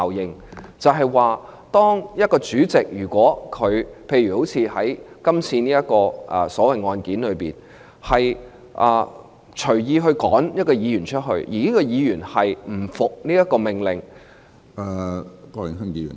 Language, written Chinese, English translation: Cantonese, 也就是說，當一位主席——例如在今次所謂的案件中的主席——隨意驅逐一位議員，而這位議員不服命令......, In other words when a PresidentChairman―such as the President in this so - called case―arbitrarily expels a Member and the Member in question does not accept the order